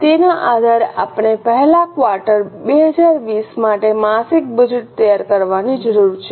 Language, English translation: Gujarati, Based on this, we need to prepare monthly budget for the quarter, first quarter 2020